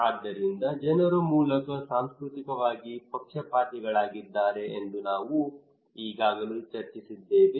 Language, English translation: Kannada, So this is fine we discussed already that people are basically culturally biased